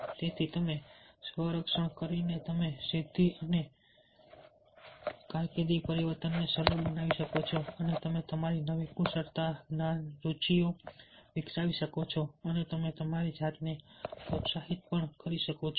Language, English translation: Gujarati, so therefore, by doing the swot analysis, you can smoothen the achievement and career change and you can develop your new skills, knowledge and interests and you can motivate yourself